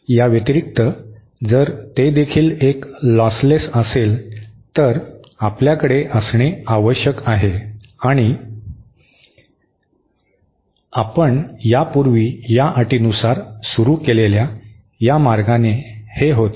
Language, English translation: Marathi, In addition to this, if it is also a lossless, we have to have andÉ This by the way follows from this condition that we had started earlier